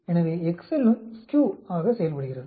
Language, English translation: Tamil, So, excel also as function called SKEW